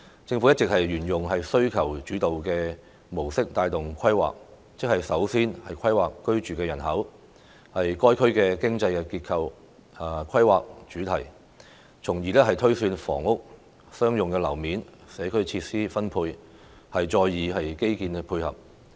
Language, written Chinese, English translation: Cantonese, 政府一直沿用"需求主導"的模式帶動規劃，即是首先規劃居住人口、該區經濟結構和規劃主題，從而推算房屋、商用樓面數量和社區設施分配，再以基建作配合。, The Government has all along adopted the demand - led model to guide planning . In other words it has first carried out planning in the domains of resident population economic structure and main theme of the area thus enabling the projection of housing and commercial floor area and the allocation of community facilities and then provided infrastructure accordingly